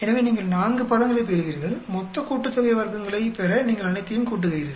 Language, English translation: Tamil, So, you will get 4 terms, you add all of them to get the total sum of squares